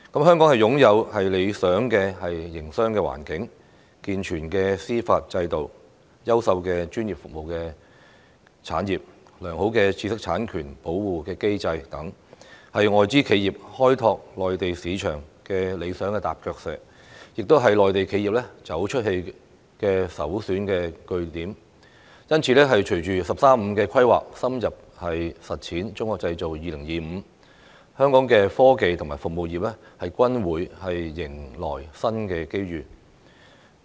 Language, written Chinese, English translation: Cantonese, 香港擁有理想的營商環境、健全的司法制度、優秀的專業服務產業、良好的知識產權保護機制等，是外資企業開拓內地市場的理想踏腳石，亦是內地企業走出去的首選據點，因此，隨着"十三五"規劃，深入實踐"中國製造 2025"， 香港的科技和服務業均會迎來新機遇。, With a favourable business environment a sound judicial system outstanding professional services a robust intellectual property protection regime and all that Hong Kong is an ideal stepping stone for foreign enterprises seeking to develop the Mainland market and the most preferred base for Mainland enterprises intending to go global . Hence in the wake of the 13 Five - Year Plan and the thorough implementation of Made in China 2025 Hong Kongs service industries and technology industries will be presented with new opportunities